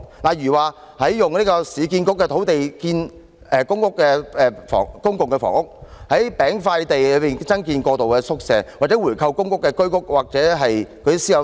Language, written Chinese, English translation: Cantonese, 例如使用市區重建局的土地興建公營房屋、在"餅塊地"增建過渡宿舍，以及回購公屋、居屋或私樓單位、提供租金津貼......, Examples are using the sites of the Urban Renewal Authority to construct public housing building more transitional hostels on smaller sites as well as buying back PRH Home Ownership Scheme or private housing units providing a rental allowance to those who have been waitlisted for allocation of PRH for more than three years